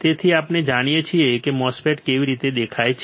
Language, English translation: Gujarati, So, we know how the MOSFET looks like right